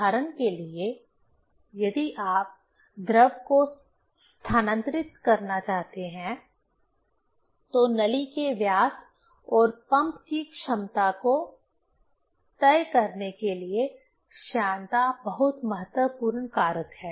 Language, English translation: Hindi, As for example, if you want to move fluid, then viscosity is very important factor to decide the diameter of pipe and the capacity of pump